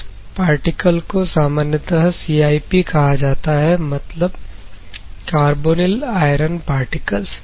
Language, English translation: Hindi, Normally, iron particles are called as CIP ok, carbonyl iron particles